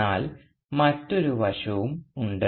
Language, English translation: Malayalam, But there is also another aspect